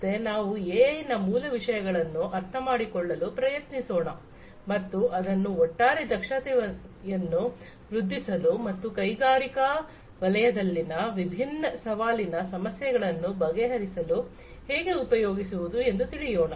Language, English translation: Kannada, So, let us try to understand the basic concepts behind AI and how it can be used to improve the overall efficiency and address different challenging issues in the industrial sector